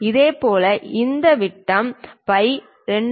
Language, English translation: Tamil, Similarly let us look at this diameter phi 2